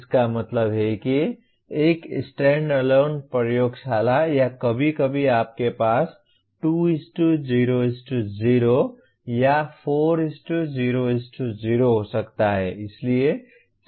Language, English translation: Hindi, That means a standalone laboratory or occasionally you may have 2:0:0 or even 4:0:0